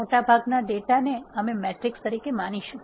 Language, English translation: Gujarati, Most of the data we will treat them as matrices